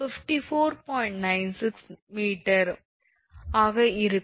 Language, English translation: Tamil, 96 is coming